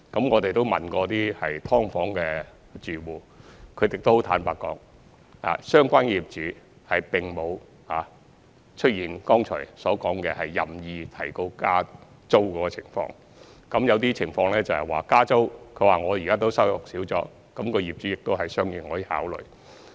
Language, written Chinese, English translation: Cantonese, 我們問過一些"劏房"住戶，他們都很坦白，指相關的業主並沒有如剛才所說出現任意加租的情況。有些情況是，租戶自己現時的收入少了，業主也會作出相應考慮。, We have asked some SDU tenants and they were all frank saying that their landlords have not increased the rent arbitrarily while some landlords would also consider the fact that the income of tenants have decreased